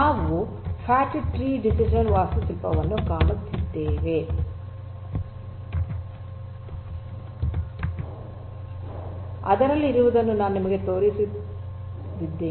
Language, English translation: Kannada, So, we have in a Fat Tree we have fat tree DCN architecture very quickly I am going to show you what it has